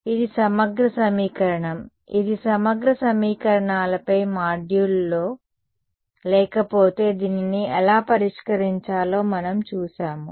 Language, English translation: Telugu, So, this is a integral equation which in the module on integral equations if no we have seen how to solve this